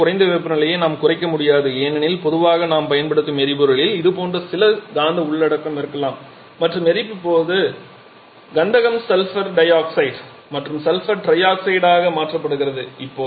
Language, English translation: Tamil, We cannot reduce the temperature lower than this because generally the fuel that we use that may have such certain sulphur content and during combustion that sulphur gets converted to sulphur dioxide and sulphur trioxide